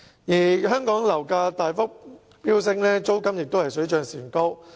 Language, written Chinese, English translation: Cantonese, 近年香港樓價大幅飆升，租金亦水漲船高。, In recent years property prices in Hong Kong have spiked and rents have also risen accordingly